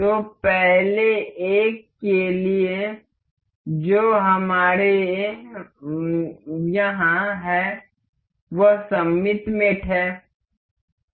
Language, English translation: Hindi, So, for the next one that we have here is symmetric mate